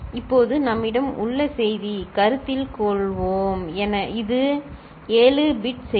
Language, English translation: Tamil, Now the message that we are having, let us consider, it is a 7 bit message